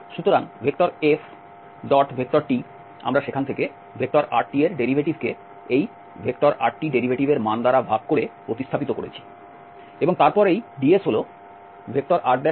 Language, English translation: Bengali, So F dot and the t we have substituted from there R derivative divided by the magnitude of this R derivative, and then this ds is R derivative magnitude into dt